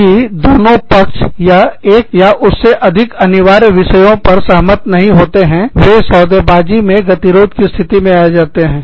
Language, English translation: Hindi, If the parties cannot agree, on one or more mandatory issues, they have reached an impasse, in bargaining